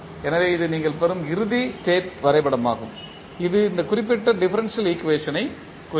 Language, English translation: Tamil, So, this is the final state diagram which you will get and this will represent these particular differential equation